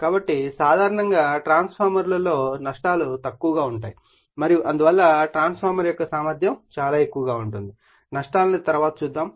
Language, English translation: Telugu, So, losses in transformers are your generally low and therefore, efficiency of the transformer is very high, losses we will see later